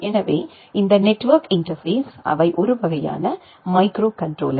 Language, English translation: Tamil, So, this network interface they are kind of microcontroller